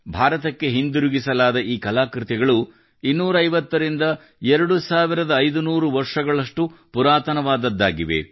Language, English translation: Kannada, These artefacts returned to India are 2500 to 250 years old